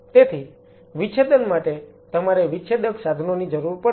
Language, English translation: Gujarati, So, for dissection you will be needing dissecting instruments